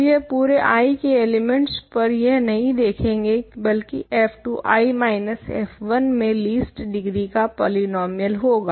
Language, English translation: Hindi, Now, I do not do it among all elements in I, but I choose f 2 to be a least degree polynomial in I minus f 1